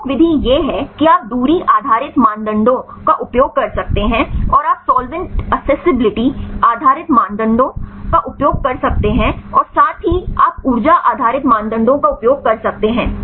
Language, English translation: Hindi, Major method is you can use the distance based criteria, and you can use the solvent accessibility based criteria, and also you can use energy based criteria right